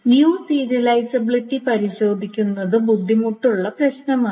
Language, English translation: Malayalam, So testing for view serializability is a hard problem